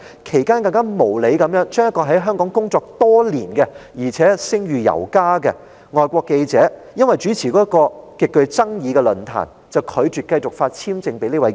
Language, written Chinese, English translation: Cantonese, 其間，一名在港工作多年並褒譽有加的外國記者，因為主持一個極具爭議的論壇，便被無理地拒絕繼續獲發簽證。, In the meantime a highly acclaimed foreign journalist who had worked in Hong Kong for many years was unreasonably denied renewal of visa just because he hosted a highly controversial forum